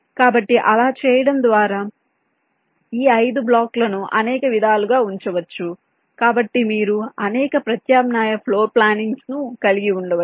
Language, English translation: Telugu, so by doing that, these five blocks can be placed in several ways, so you can have several alternate floor plans